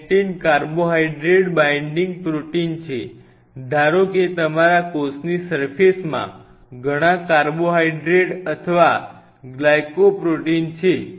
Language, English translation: Gujarati, So, lectins are Carbohydrate Binding Proteins; Carbo Hydrate Binding Proteins suppose your cell surface has lot of carbohydrate or glycoproteins remaining theory